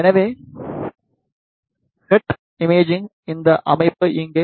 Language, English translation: Tamil, So, here is this system for head imaging